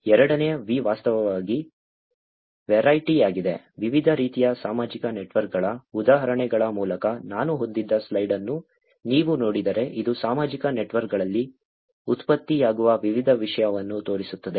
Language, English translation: Kannada, Second V is actually Variety, if you look at the slide that I had by different types of social networks examples this actually shows you the variety of content that are getting generated on social networks